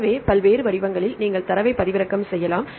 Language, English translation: Tamil, So, various formats you can download the data